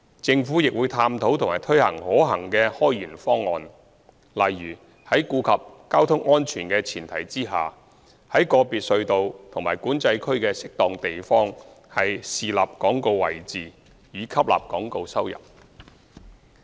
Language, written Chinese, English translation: Cantonese, 政府亦會探討和推行可行的開源方案，例如在顧及交通安全的前提下，於個別隧道及管制區的適當地方豎立廣告位置，以吸納廣告收入。, The Government also explores and implements feasible measures to generate additional revenues such as erecting advertisement panels at suitable locations of the tunnels and Control Areas so as to bring in advertising income without compromising road safety